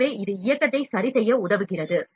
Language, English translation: Tamil, So, that helps to adjust the movement